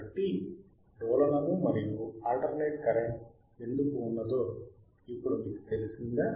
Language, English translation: Telugu, So, now, we know why there is oscillation we know why there is and alternating current